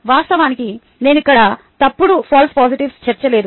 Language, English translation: Telugu, of course i would not ah included the false positives here